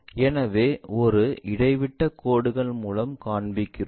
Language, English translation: Tamil, So, we show it by dashed line